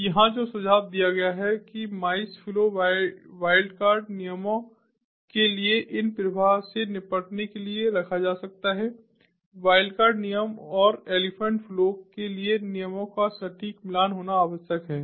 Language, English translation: Hindi, so here what is suggested is, for the mice flow, wildcard rules can be placed to deal with these flows the wildcard rules and for the elephant flows, what is required is to have exact match of the rules